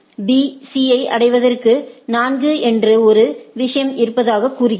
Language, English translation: Tamil, See in order to reach B C says that it has a thing called 4